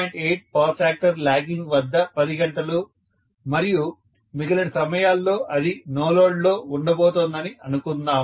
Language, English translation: Telugu, 8 power factor lag, and for the rest of the times it is going to be on no load